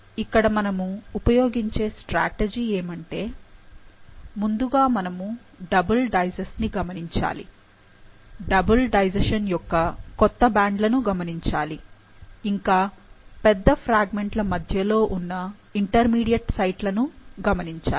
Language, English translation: Telugu, So, the strategy is that one should look at the double digest, the new bands in the double digestion first to look at the intermediate sites present between the bigger fragments